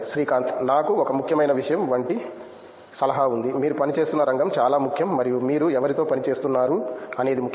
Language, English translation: Telugu, I just have one suggestion like one important thing is the area in which you are working is very important and whom you are working is important